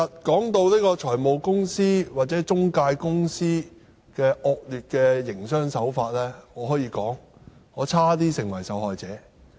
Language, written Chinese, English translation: Cantonese, 談到財務公司或中介公司的惡劣營商手法，我可以說我差點也成為受害者。, Talking about the bad practices of finance companies or intermediaries I would say that I did nearly fall victim to them